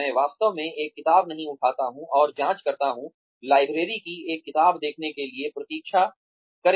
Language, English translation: Hindi, I do not actually pick up a book and check, wait to check out a book from the library